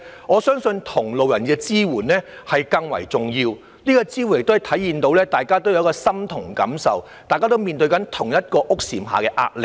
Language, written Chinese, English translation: Cantonese, 我相信同路人的支援更為重要，亦可體現大家感同身受，面對同一屋簷下的壓力。, I believe support from people sharing similar experience is more important as they can show empathy for one another and feel similar pressure under the same roof